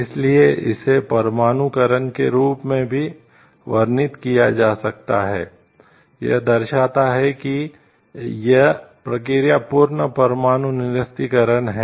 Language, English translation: Hindi, So, it can also be described as denuclearization, which denotes that the process is of complete nuclear disarmament